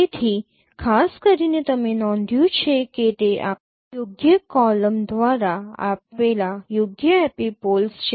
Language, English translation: Gujarati, So, particularly you know, you notice that the right epipoles, these are given by this particular column